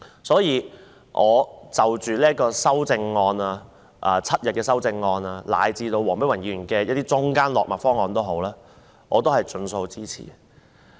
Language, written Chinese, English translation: Cantonese, 所以，無論是要求增至7日的修正案以至黃碧雲議員的中間落墨方案，我也會盡數支持。, Hence I will support all the amendments including those seeking to increase paternity leave to seven days or the progressive option proposed by Dr Helena WONG